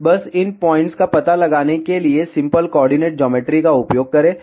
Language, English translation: Hindi, Just use simple coordinate geometry to locate these points